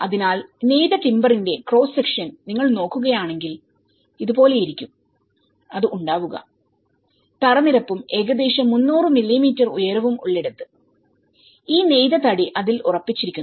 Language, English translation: Malayalam, So, if you look at the cross section of the woven timber, so this is how it looks where you have the floor level and about 300 mm height and then this woven timber is fixed upon it